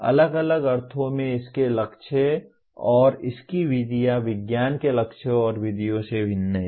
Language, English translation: Hindi, Different in the sense its goals and its methods are different from the goals and methods of science